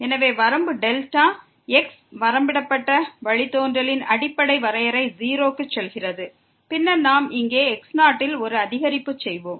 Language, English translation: Tamil, So, the fundamental definition of the derivative that limit delta goes to 0 and then, we will make an increment here in